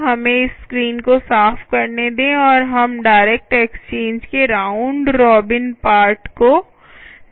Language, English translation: Hindi, lets clear this screen and lets try the round robin part of the direct exchange